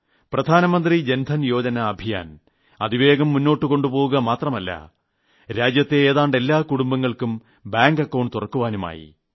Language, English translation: Malayalam, And this possibility is there because under the Pradhan Mantri Jan Dhan Yojana that we have started recently, nearly all the families in the country have had their bank accounts opened